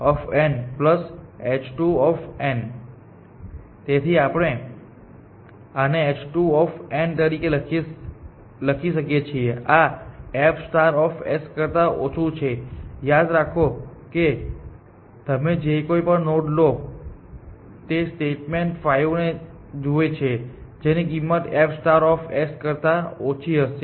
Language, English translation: Gujarati, So, we can rewrite this as H 2 of n and this is less than f star of s; remember that any node that you take the statement 5 that view it that will have this value less than f star of s